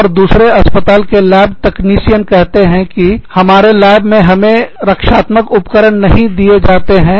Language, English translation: Hindi, And, another hospital says, the lab technicians, in another hospital say, we are not being given, protective gear, in our labs